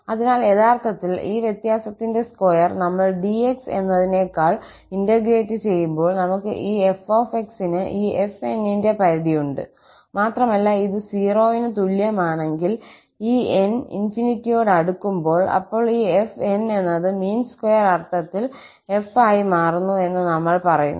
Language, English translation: Malayalam, So, f minus f, actually we have this f as the limit of this fn, when we integrate the square of this difference over dx, and if this is equal to 0, when we take this n approaches to infinity then we say that this fn converges to f in the mean square sense